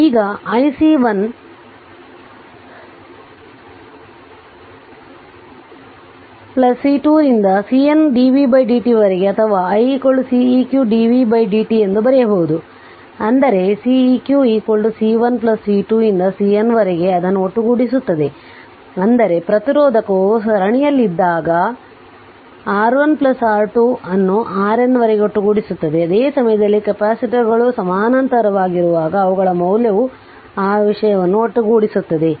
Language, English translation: Kannada, I can write we can write I C 1 plus C 2 up to C N dv by dt or i is equal to C q dv by dt ; that means, C eq is equal to C 1 plus C 2 up to C N sum it up; that means, when resistor are in the series we are summing r 1 plus r 2 up to r n say when the capacitors are in parallel at that time their value will be that thing will be summed up right